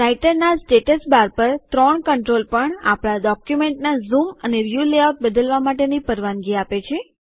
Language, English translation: Gujarati, The three controls on the Writer Status Bar also allow to change the zoom and view layout of our document